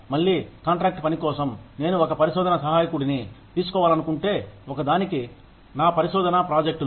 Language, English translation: Telugu, Again, for contractual work, if I want to take on a research assistant, for one of my research projects